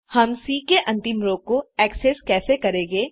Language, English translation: Hindi, How do we access the last row of C